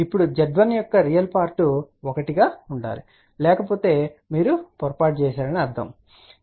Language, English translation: Telugu, Now, the real part of Z 1 has to be one ok otherwise you have made a mistake